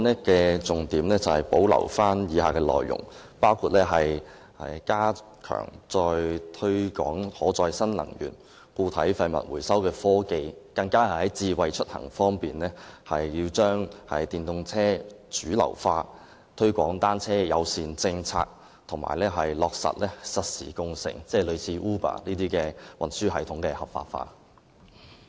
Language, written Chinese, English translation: Cantonese, 我的修正案保留了以下重點內容：包括加強推廣可再生能源、固體廢物回收科技；在智慧出行方面，更加要推動電動車主流化、推廣單車友善措施，以及落實實時共乘，即如 Uber 這類運輸系統的合法化。, My amendment retains the following key points including strengthening the promotion of renewable energy and recycling technology for solid wastes; in respect of smart mobility promoting the mainstreaming of electric vehicles pressing ahead with bicycle - friendly measures and implementing real - time car - sharing ie . effecting the legalization of such transport systems as Uber